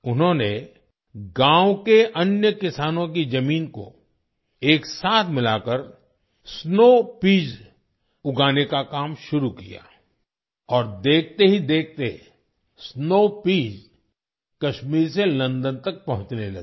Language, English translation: Hindi, He started growing snow peas by integrating the land of other farmers of the village and within no time, snow peas started reaching London from Kashmir